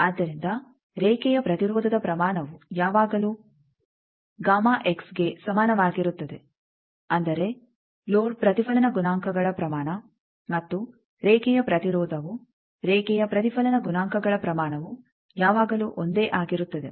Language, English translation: Kannada, So, line impedance its magnitude is always equal to gamma l bar; that means, loads reflection coefficients magnitude and line impedance a line reflection coefficients magnitude they are always same